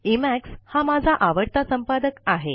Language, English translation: Marathi, My favorite editor is Emacs